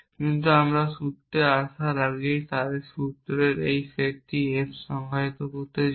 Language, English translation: Bengali, But before we come to formulas so want to define this set F of formulas before that we define a set A of atomic formulas